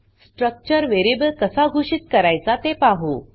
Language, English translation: Marathi, Now we will see how to declare a structure variable